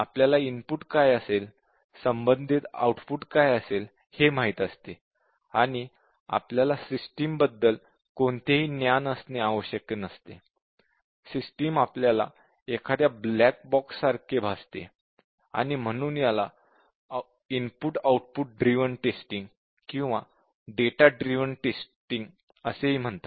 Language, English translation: Marathi, We know what will be the input, corresponding output and system; we do not have any knowledge about that; appears like a black box to it; and therefore, it is also called as input output driven testing or data driven testing